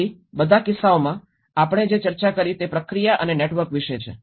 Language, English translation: Gujarati, So in all the cases, what we did discussed is about the process and the networks